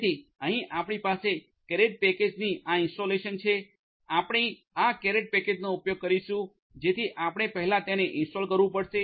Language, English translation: Gujarati, So, here we have you know this installation of the caret package we will be using this caret package so we are we have to install it first